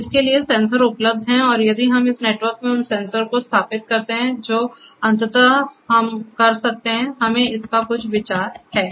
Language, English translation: Hindi, So, there are sensors available for this and if we install those sensors in this network which eventually we might do we have some idea of that